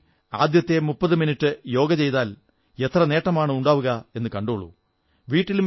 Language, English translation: Malayalam, The practice of Yoga 30 minutes before school can impart much benefit